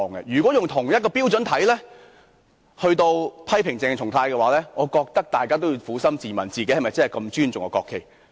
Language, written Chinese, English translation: Cantonese, 如果要以同一標準來批評鄭松泰議員，我認為大家也要撫心自問，究竟自己是否如此尊重國旗呢？, If the same standard is applied to criticize Dr CHENG Chung - tai then I believe everyone should ask themselves whether or not they actually respect the national flag so much?